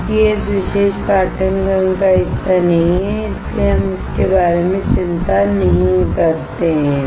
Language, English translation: Hindi, Since it is not a part of this particular course so, we do not worry about it